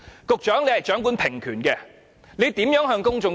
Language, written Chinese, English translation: Cantonese, 局長掌權平權，他如何向公眾交代？, Since the Secretary is in charge of equal rights how can he explain that to the public?